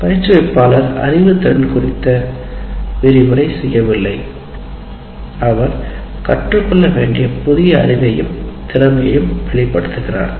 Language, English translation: Tamil, We are not saying lecturing about the knowledge, demonstrating the new knowledge and skill to be learned